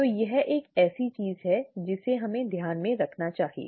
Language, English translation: Hindi, So that is something that we need to keep in mind